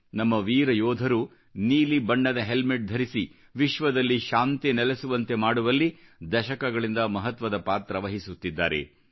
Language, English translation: Kannada, For decades, our brave soldiers wearing blue helmets have played a stellar role in ensuring maintenance of World Peace